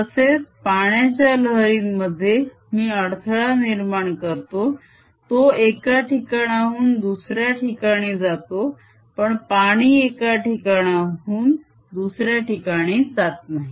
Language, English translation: Marathi, similarly, in water waves i create a disturbance that travels from one place to the other, but water does not go from one place to other